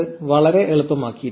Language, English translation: Malayalam, It just makes life a lot easier